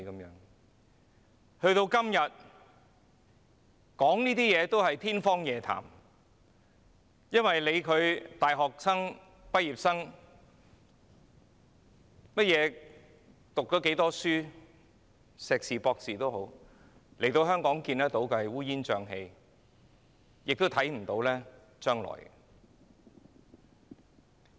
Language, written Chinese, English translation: Cantonese, 時至今日，這一切都是天方夜譚，因為不管是大學或學歷有多高的畢業生，在香港這個一片烏煙瘴氣的地方皆看不到將來。, But these days it is only a wild dream to live such an ideal life in Hong Kong because young graduates be they degree holders or holders of even higher academic qualifications can see no future for themselves in this chaotic and suffocating environment